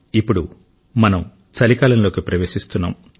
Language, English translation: Telugu, We are now stepping into the winter season